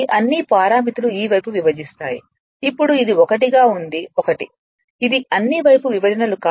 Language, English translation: Telugu, This all the parameters you divide by s this this this side it is now 1 is to 1, this all the side you divide by s